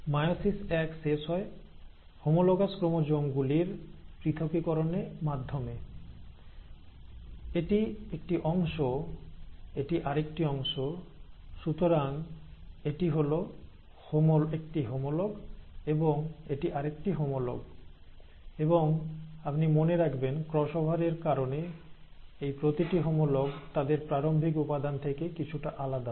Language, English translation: Bengali, So, the meiosis one ends with the separation of homologous chromosomes, so this is one part, this is another; so this is one homologue, this is the another homologue, and mind you again, each of these homologues are slightly different from their starting material because of the cross over